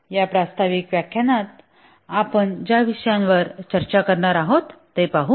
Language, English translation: Marathi, Let's look at the topics that we will discuss in this introductory lecture